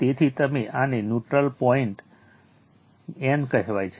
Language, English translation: Gujarati, So, this is called neutral point n